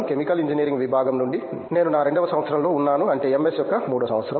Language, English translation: Telugu, from Chemical Engineering Department I am into my second year, I mean third year of MS